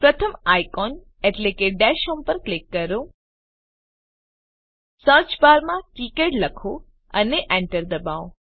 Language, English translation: Gujarati, Click on the first icon (i.e)Dash home In the search bar write KiCad and press Enter